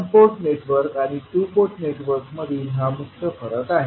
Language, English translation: Marathi, So, this is the major difference between one port network and two port network